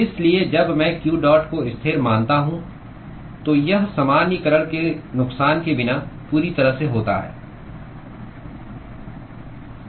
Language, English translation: Hindi, So, when I assume q dot as constant, it is completely without loss of generalization